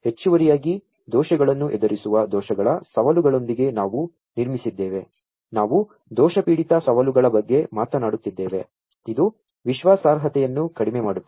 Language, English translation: Kannada, So, additionally, we have built with the challenges of errors dealing with errors we are talking about error prone challenges, which decreases the reliability